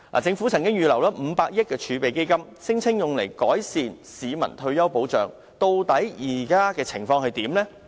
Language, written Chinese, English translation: Cantonese, 政府曾經預留500億元儲備基金，聲稱用來改善市民退休保障，究竟現時的情況如何？, The Government has earmarked 50 billion for a reserve fund to improve retirement protection . What is the current situation?